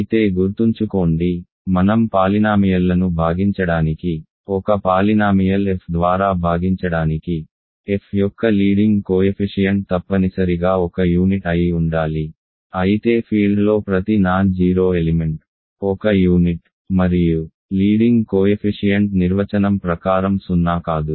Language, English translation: Telugu, Remember though that to divide polynomials we, to divide by a polynomial f, we need that the leading coefficient of f must be a unit, but in a field every non zero element is a unit and leading coefficient is by definition non zero